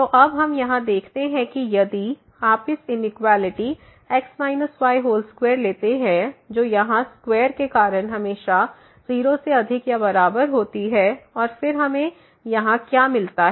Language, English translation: Hindi, So, we notice here now that if you take this inequality minus whole square which is always greater than or equal to 0 because of the square here and then what do we get here